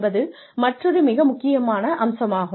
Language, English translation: Tamil, Another very important aspect